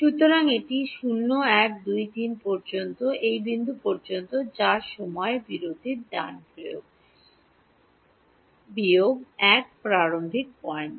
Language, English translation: Bengali, So, this is 0 1 2 3 all the way up to this point which is n minus 1 starting point of the time interval right